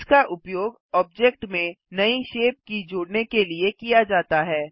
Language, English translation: Hindi, This is used to add a new shape key to the object